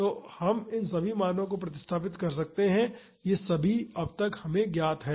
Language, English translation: Hindi, So, we can just substitute all these values, all these are known to us by now